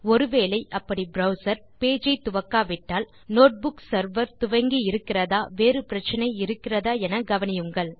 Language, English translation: Tamil, If it doesnt automatically start a web page browser , check if the Notebook server started and there were no problems